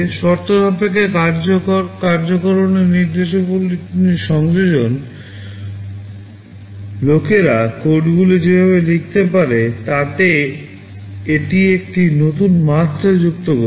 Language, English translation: Bengali, The addition of conditional execution instructions, this has added a new dimension to the way people can write codes